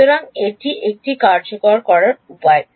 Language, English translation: Bengali, So, this is this is one way of implementing it